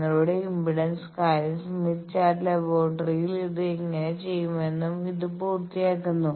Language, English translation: Malayalam, So, this completes your impedance thing that how to do it in the laboratory to Smith Chart